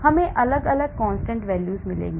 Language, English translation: Hindi, We will get different constant values